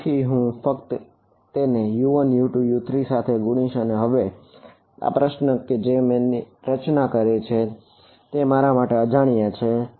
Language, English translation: Gujarati, So, I just multiply that by U 1 U2 U 3 and these are my unknowns now in the problem that I have formulated